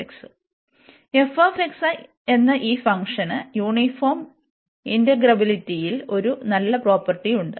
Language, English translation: Malayalam, And this function f x has this nice property above this uniform integrability